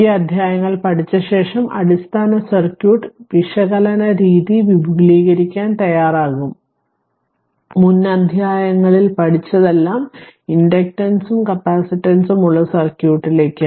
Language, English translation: Malayalam, After studying this chapters, we will be ready to extend the basic circuit analysis technique, you all learned in previous chapter to circuit having inductance and capacitance